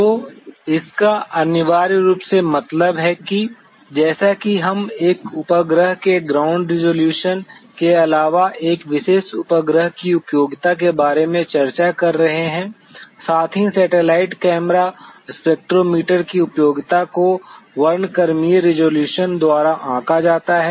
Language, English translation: Hindi, So, it essentially means that, as we are discussing about the usefulness of a particular satellite, in addition to the ground resolution a satellite, also the satellite camera the spectrometer’s utility is judged by the spectral resolution